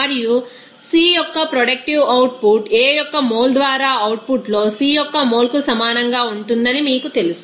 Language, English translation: Telugu, And efficiency of the you know that you know productive output of C will be equal to mole of C in output by mole of A reacted